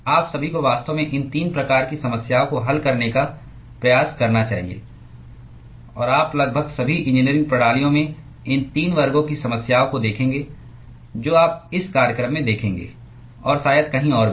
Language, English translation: Hindi, All of you should actually try to solve these 3 types of problems; and you will see these 3 classes of problems in almost all the engineering systems that you will see in this program and also probably elsewhere